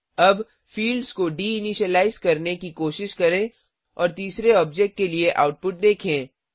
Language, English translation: Hindi, Now, try de initializing the fields and see the output for the third object